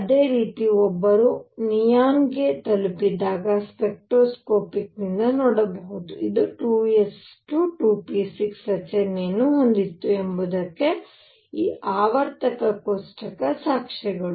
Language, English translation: Kannada, Similarly when one reached neon one could see from the spectroscopic and these periodic table evidences that this was had a structure of 2 s 2, 2 p 6